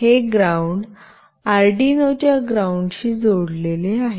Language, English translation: Marathi, This ground is connected to the ground of Arduino